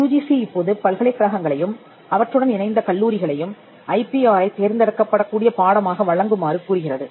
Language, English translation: Tamil, UGC now requests universities and affiliated colleges to provide IPR as elective course